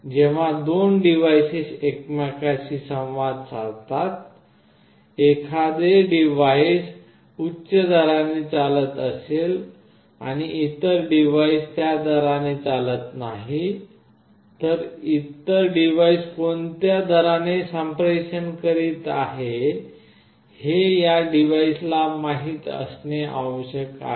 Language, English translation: Marathi, When 2 devices communicate with each other, if one device runs at a higher rate other device does not runs at that rate, this device must know at what rate the other device is communicating